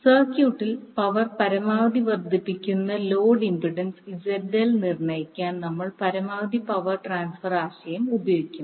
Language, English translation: Malayalam, So, now we will use the maximum power transfer concept to determine the load impedance ZL that maximizes the average power drawn from the circuit